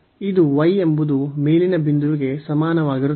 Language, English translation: Kannada, So, this is y is equal to a the upper point